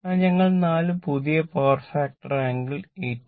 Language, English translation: Malayalam, So, we have got four new power factor angle is 18